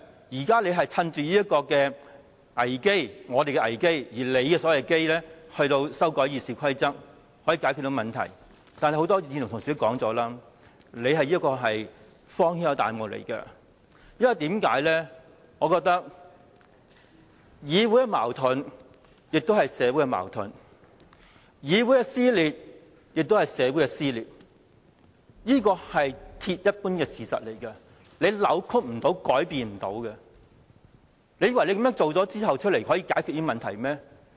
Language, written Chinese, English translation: Cantonese, 現在他們趁着我們的"危"——即他們的所謂"機"——修改《議事規則》來解決問題，但正如很多議員說，這是荒天下之大謬，因為議會的矛盾亦是社會的矛盾，議會撕裂亦是社會撕裂，這是鐵一般的事實，是無法扭曲改變的事實，難道他們以為這樣做可以解決問題嗎？, This is however ridiculous to the extreme as many Members have pointed out . For it is a fact set in stone―a fact that left no room for change or distortion―that the conflicts within this Council are the conflicts within society and the dissension in this Council is the dissension in society . Do they think these problems can be solved by amending the rules?